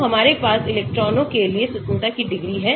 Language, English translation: Hindi, so we have only degrees of freedom for the electrons